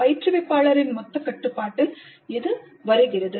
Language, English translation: Tamil, The instructor is in total control